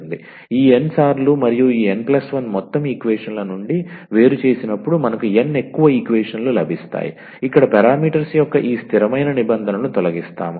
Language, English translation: Telugu, So, we will get n more equations when we differentiate this n times and out of this n plus 1 total equations we will eliminate these constant terms of the parameters here